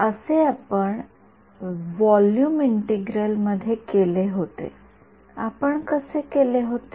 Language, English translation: Marathi, Like we did in volume integral how did we